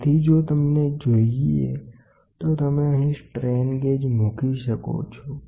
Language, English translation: Gujarati, So, after if you want we can put strain gauges here